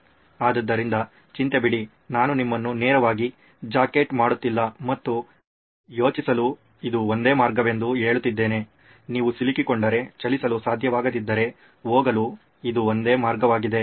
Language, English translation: Kannada, So worry not, I am not straight jacketing you and saying this is the only way to think, this is the only way to go if you are stuck, if you cannot move